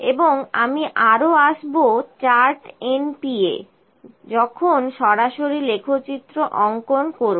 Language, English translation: Bengali, And I also come to the np chart and np chart is will when will plot this directly